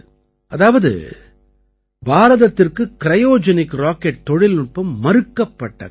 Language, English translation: Tamil, While talking to you, I also remember those old days, when India was denied the Cryogenic Rocket Technology